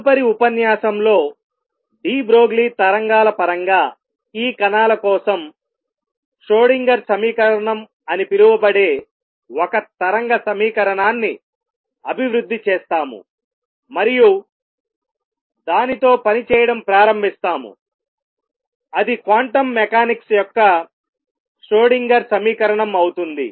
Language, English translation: Telugu, On next lecture onwards we will develop a wave equation known as the Schrödinger equation for these particles in terms of de Broglie waves, and start working with it that will be the Schrödinger explosion of quantum mechanics